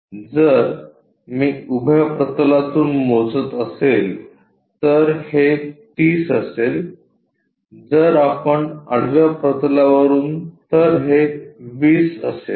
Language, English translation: Marathi, So, if I am measuring from vertical plane this will be 30, if we are measuring from horizontal plane that will be 20